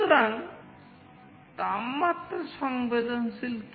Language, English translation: Bengali, So, what is temperature sensing